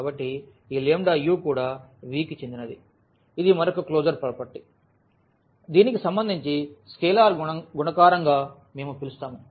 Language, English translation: Telugu, So, this lambda u must also belong to V that is another closure property which we call with respect to this is scalar multiplication